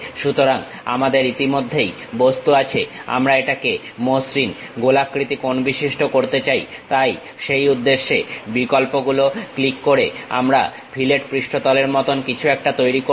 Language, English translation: Bengali, So, we have already object we want to really make it rounded smooth corner, so for the purpose we create something like a fillet surface by clicking the options